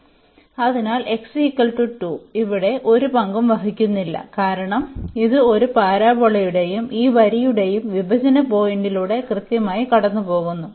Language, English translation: Malayalam, So, x is equal to 2 does not play a role here because this is precisely passing through this point of intersection of this parabola and this line